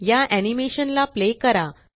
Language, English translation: Marathi, Play this animation